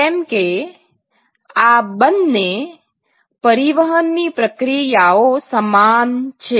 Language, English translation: Gujarati, So, because these two are similar transport processes